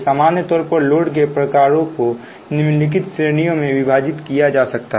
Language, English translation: Hindi, in general, the types of load can be divided into following categories